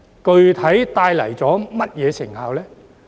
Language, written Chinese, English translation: Cantonese, 具體帶來了甚麼成效？, What concrete results have been achieved?